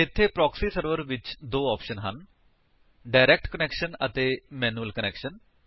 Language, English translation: Punjabi, There are two options under the Proxy Server – Direct Connection and Manual Proxy Connection